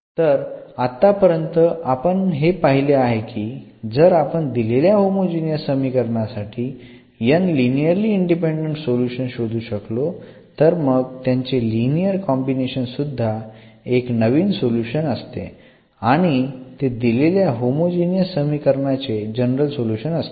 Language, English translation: Marathi, So, with this now what we have seen that if we can find these n linearly independent solutions of the homogenous equation; homogeneous differential equation then just their linear combination will be also the solution of or in fact, it will be the general solution of the given differential equation